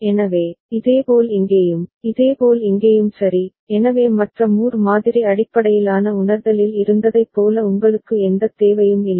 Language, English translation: Tamil, So, similarly over here, similarly over here right, so for which you do not have any requirement as was the case in the other Moore model based realization